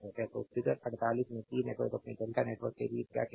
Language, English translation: Hindi, So, T network in figure 48 to your what you call to your delta network